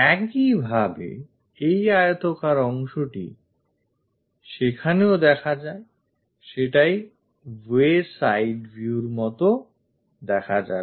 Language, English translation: Bengali, Similarly, this rectangle portion also visible there; that is way side view supposed to look like